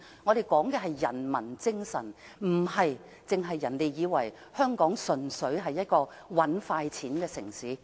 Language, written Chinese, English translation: Cantonese, 我們講求的是人民精神，而香港亦不是人們眼中純粹是"搵快錢"的城市。, We pursue humanism and Hong Kong is not a city purely for making quick money as in some peoples eyes